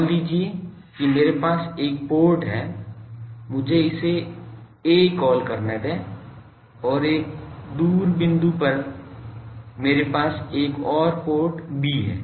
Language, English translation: Hindi, Suppose I have a port here let me call it a and at a distant point, I have another port b